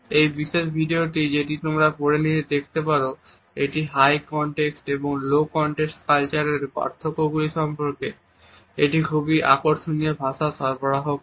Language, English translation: Bengali, This particular video which you can check later on provides a very interesting commentary on the differences between the high context and low context cultures